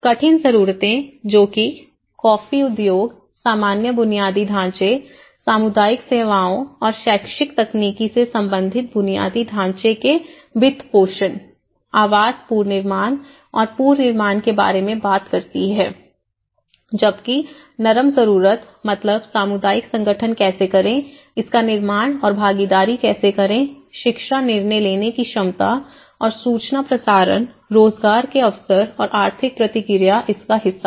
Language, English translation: Hindi, The hard needs, which talks about the funding, housing reconstruction and reconstruction of infrastructure related to coffee industry, general infrastructure, community services and educational technical whereas, here it talks about the soft needs community organization how to build this and participation, education, decision making capacities and information channelling, employment opportunities and economic reactive